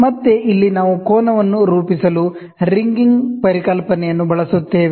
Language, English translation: Kannada, Again, here we use the concept of ringing to form the angle